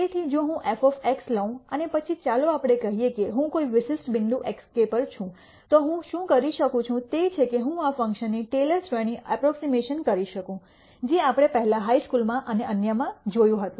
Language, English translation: Gujarati, So, if I take f of x and then let us say I am at a particular point x k, what I can do is I can do a taylor series approximation of this function which we would have seen before in high school and so on